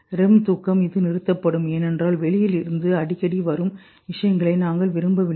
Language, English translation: Tamil, REM sleep, this shuts off because you don't want frequent things coming in from outside